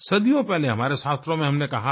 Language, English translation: Hindi, Our scriptures have said centuries ago